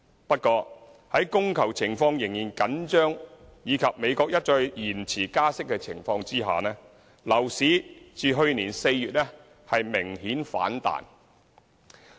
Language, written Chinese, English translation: Cantonese, 不過，在供求情況仍然緊張及美國一再延遲加息的情況下，樓市自去年4月明顯反彈。, However it has staged a sharp rebound since last April amidst a still tight demand - supply situation and repeated delay in the United States interest rate hike